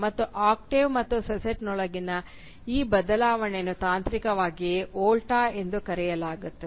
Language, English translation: Kannada, And this change within the octave and sestet, this reversal is technically referred to as the Volta